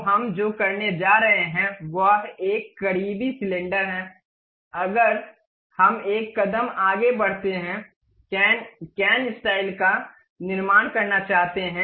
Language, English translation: Hindi, So, what we are going to do is a close cylinder if we want to construct in a stepped way cane, cane style